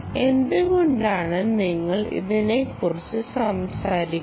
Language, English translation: Malayalam, why are we talking about this